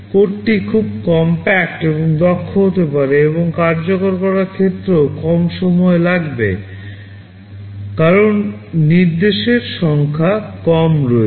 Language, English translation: Bengali, The code can be very compact and efficient, and in terms of execution time will also take less time because there are fewer number of instructions